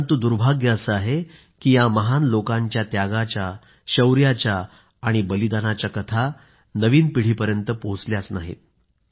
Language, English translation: Marathi, But it's a misfortune that these tales of valour and sacrifice did not reach the new generations